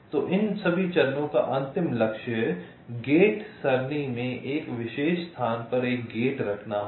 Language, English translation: Hindi, so ultimate goal of all these steps will be to place a gate in to a particular location in the gate array